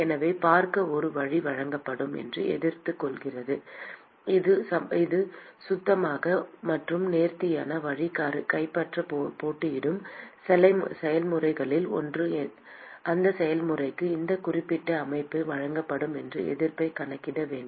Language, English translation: Tamil, So one way to look at is the resistance that is offered a clean and elegant way to capture the one of the competing processes is to calculate the resistance that is offered by that particular system for that process